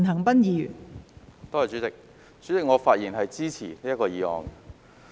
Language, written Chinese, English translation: Cantonese, 代理主席，我發言支持這項議案。, Deputy President I speak in support of this motion